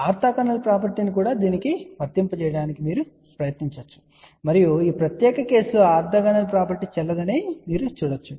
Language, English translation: Telugu, You can try also applying orthogonal property to this also and you will see that orthogonal property is not valid for this particular case